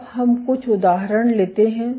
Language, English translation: Hindi, Now, let us take a few examples